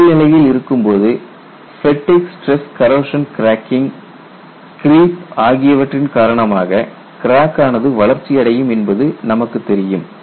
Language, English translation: Tamil, And we all know that cracks grow in service due to fatigue, stress corrosion cracking, creep, etcetera